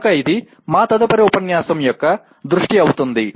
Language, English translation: Telugu, So that will be the focus of our next unit